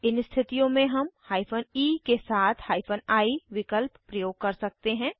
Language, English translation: Hindi, In such cases we can use hyphen e option with hyphen i